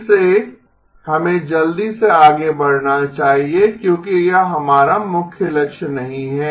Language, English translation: Hindi, Again, let us quickly move forward because this is not our main goal